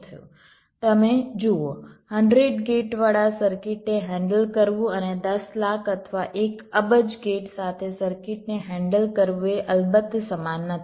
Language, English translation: Gujarati, you see, ah, handling a circuit with hundred gates and handling a circuit with one million or one billion gates is, of course, not the same